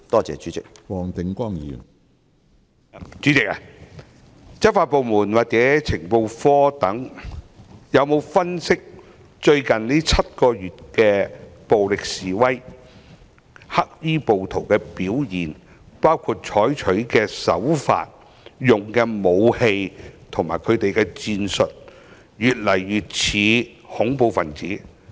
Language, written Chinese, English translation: Cantonese, 主席，執法部門或情報科等有否分析在最近7個月的暴力示威中，黑衣暴徒的表現，包括他們採取的手法、使用的武器及戰術是否與恐怖分子越來越相似？, President have law enforcement agencies or the Criminal Intelligence Bureau analysed whether the acts of black - clad rioters in the violent demonstrations in the past seven months including their practices weapons and tactics have been growing increasingly similar to those employed by terrorists?